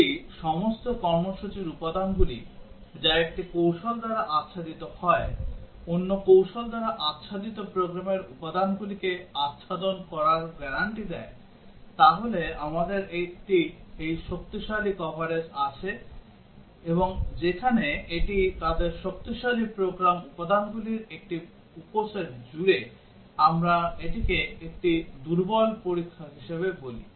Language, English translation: Bengali, If all the program elements that are covered by one strategy, guarantees to cover the program elements covered by another strategy then we have this stronger coverage, and the one where it covers only a subset of the program elements of their stronger, we call it as a weaker testing